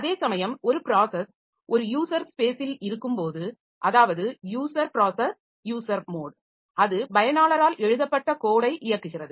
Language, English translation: Tamil, Whereas when a process is in user space, user process in a user mode then it is executing the code written by the user